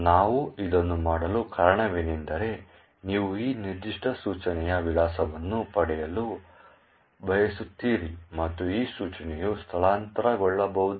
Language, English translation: Kannada, The reason why we do this is that you want to get the address of this particular instruction and this instruction can be relocatable